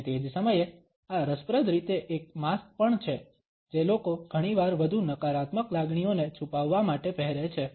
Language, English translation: Gujarati, And at the same time this interestingly is also a mask which people often wear to hide more negative emotions